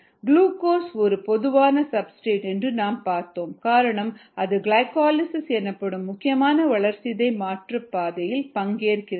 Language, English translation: Tamil, we saw that glucose is a typical substrate because it participates in one of the important metabolic pathway in the cell, or glycolysis, and ah